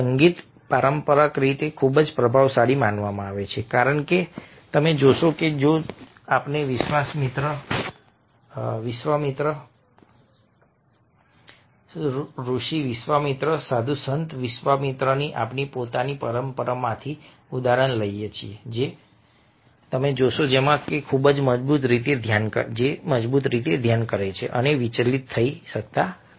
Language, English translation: Gujarati, music a traditionally has been found to very influential, because you see that if we take the example of, from our own tradition, of a viswamitra, saint viswamitra, then you find that he is very strongly meditating and cannot be distructed